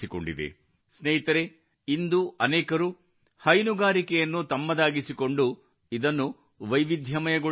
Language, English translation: Kannada, Friends, today there are many people who are diversifying by adopting dairy